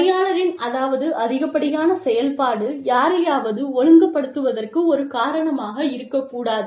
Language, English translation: Tamil, If the employee, i mean, you know, overreaction should not be a reason, for disciplining somebody